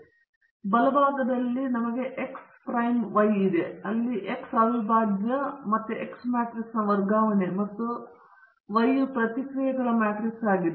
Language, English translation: Kannada, Then on the right hand side we have X prime Y, where X prime is again the transpose of the X matrix and Y is the matrix of responses